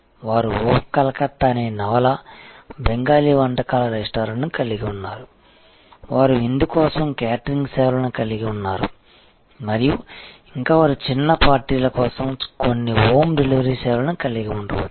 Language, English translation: Telugu, They have a chain of novel, Bengali cuisine restaurant called Oh Calcutta, they have catering services for banquet and so on, they may have some home delivery services for small parties